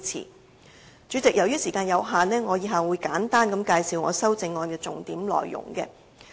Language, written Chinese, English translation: Cantonese, 代理主席，由於時間有限，以下我會簡單介紹我的修正案的重點內容。, Deputy President due to time constraint I am going to briefly introduce the main points of my amendment